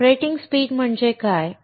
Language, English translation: Marathi, What do you mean by operating speeds